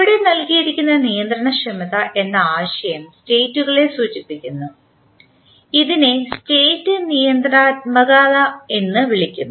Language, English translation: Malayalam, Now, the concept of an controllability given here refers to the states and is referred to as state controllability